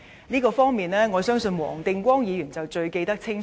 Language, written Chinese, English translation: Cantonese, 這方面，我相信黃定光議員一定最清楚。, Mr WONG Ting - kwong should know best about this